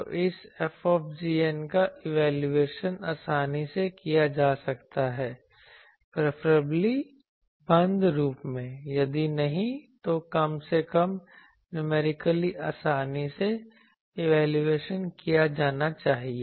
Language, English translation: Hindi, So, that this F g n can be evaluated conveniently preferably in closed form, if not at least numerically that should be easily evaluated